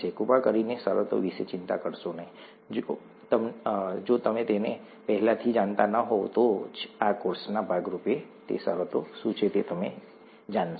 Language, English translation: Gujarati, Please do not worry about the terms, you will know what those terms are only as a part of this course, if you do not already know them